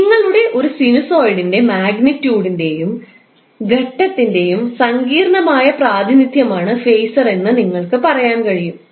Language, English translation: Malayalam, So, what you can say, phaser is a complex representation of your magnitude and phase of a sinusoid